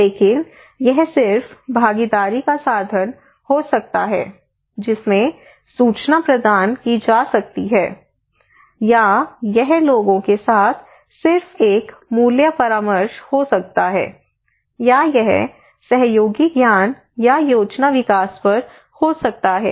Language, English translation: Hindi, But it could be just participatory means providing informations, or it could be just a value consultations with the people, or it could be at the collaborative knowledge or plan development